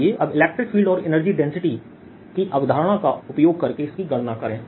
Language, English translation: Hindi, let us now calculate this using the electric field and the concept of [vocalized noise] energy density